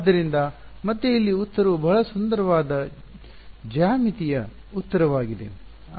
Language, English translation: Kannada, So, again here is the situation where the answer is a very beautiful geometric answer